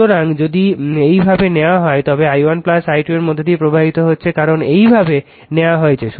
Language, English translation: Bengali, So, if you take like this then i 1 plus i 2 flowing through this right, because you have taken like this